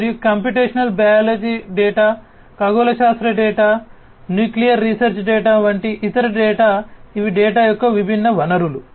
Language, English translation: Telugu, And other data such as computational biology data, astronomy data, nuclear research data, these are the different sources of data